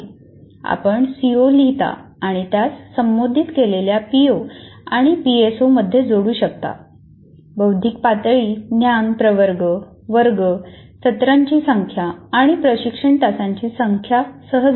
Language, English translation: Marathi, So you write the C O and then the P O's and PSOs addressed and then cognitive level, knowledge categories and class sessions and number of tutorial hours